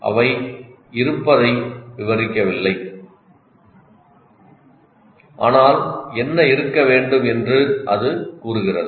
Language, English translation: Tamil, Just they do not only describe what is there but it tells what should be there